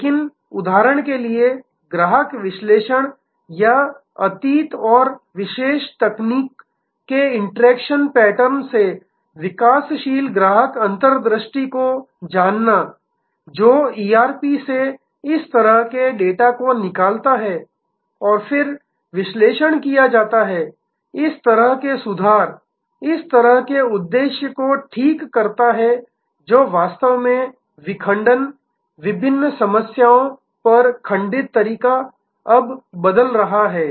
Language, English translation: Hindi, So, say for example, customer analytics or knowing developing customer insight from the interaction pattern of the past and the particular technology that extracted such data from the ERP and then analyzed, this kind of fixes, this kind of purpose fixes that actually what fragmentation, fragmented way on different problems are now changing